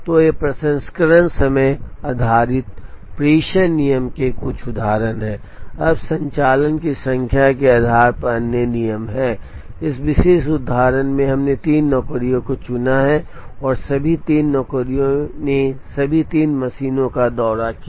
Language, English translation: Hindi, So, these are some examples of processing time based dispatching rules, now other rules based on number of operations, in this particular example we have chosen three jobs, and all three jobs visited all three machines